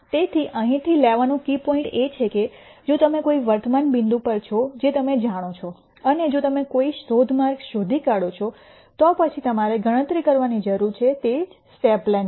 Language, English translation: Gujarati, So, the key take away from this is that if you are at a current point which you know and if you somehow gure out a search direction, then the only thing that you need to then calculate is the step length